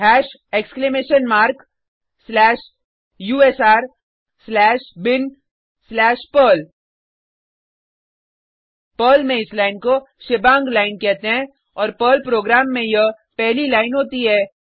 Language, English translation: Hindi, Hash exclamation mark slash usr slash bin slash perl This line in Perl is called as a shebang line and is the first line in a Perl program